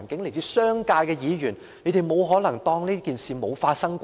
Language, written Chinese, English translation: Cantonese, 來自商界的議員不可能對這情況置若罔聞吧？, Can Members from the business sector turn a blind eye to this situation?